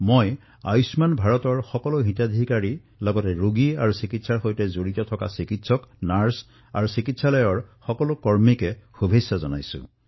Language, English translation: Assamese, I congratulate not only the beneficiaries of 'Ayushman Bharat' but also all the doctors, nurses and medical staff who treated patients under this scheme